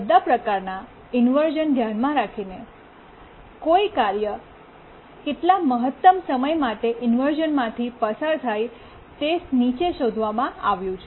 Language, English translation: Gujarati, Now let's identify what is the maximum duration for inversion that a task may undergo, considering all types of inversion